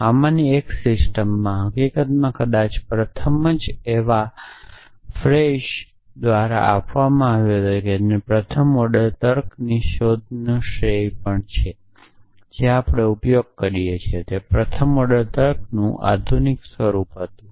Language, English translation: Gujarati, So, one of these earliest systems, in fact probably the first one which is given by Frege who is also credited with inventing first order logic was the modern form of first order logic that we use